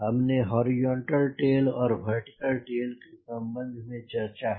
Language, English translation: Hindi, ok, yeah, we have spoken about horizontal tail and vertical tail